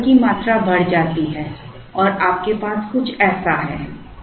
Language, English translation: Hindi, So, order quantity increases and you have something like this